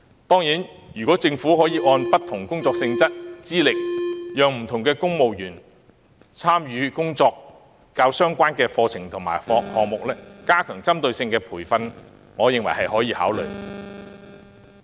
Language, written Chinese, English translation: Cantonese, 當然，如果政府可按不同工作性質和資歷，讓公務員參與跟工作較相關的課程和項目，加強為他們提供具針對性的培訓，我認為是可予考慮的。, Of course in my opinion the Government can consider arranging civil servants to attend targeted courses and programmes that are more relevant to their work with regard to the work nature and qualifications of the participants